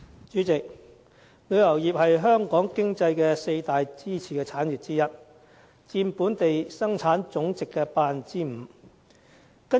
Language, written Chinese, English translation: Cantonese, 主席，旅遊業是香港經濟四大支柱產業之一，佔本地生產總值的 5%。, President the tourism industry is one of the four pillar industries of Hong Kongs economy contributing to 5 % of our GDP